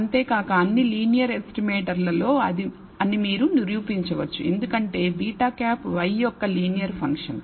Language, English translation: Telugu, Moreover you can show that among all linear estimators because beta hat is a linear function of y